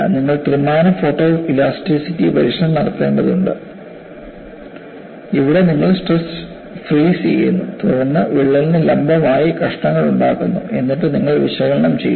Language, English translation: Malayalam, What you need to do is, you need to do an experiment of three dimensional photo elasticity, where you do the stress () of this; then make slices perpendicular to the crack; then you analyze